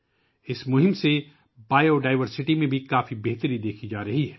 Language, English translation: Urdu, A lot of improvement is also being seen in Biodiversity due to this campaign